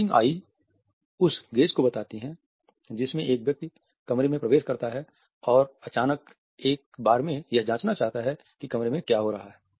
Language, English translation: Hindi, Darting eyes suggest the gaze in which a person enters the room and suddenly wants to check at what is happening in the room in a single gaze